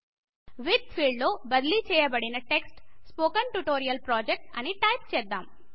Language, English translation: Telugu, In the With field we type the replaced text as Spoken Tutorial Project